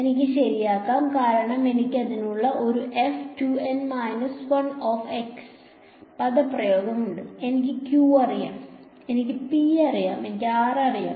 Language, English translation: Malayalam, I can right because I have a expression for f 2 N minus 1 x so, I know q, I know P, I know r